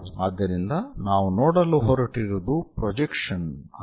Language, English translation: Kannada, So, what we are going to see is projection one this one